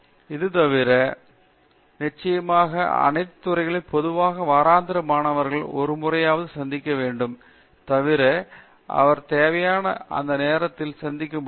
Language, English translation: Tamil, Other than that, of course all faculties usually have weekly a formal meeting with the students, other than that of course he can meet him any time whenever required and so on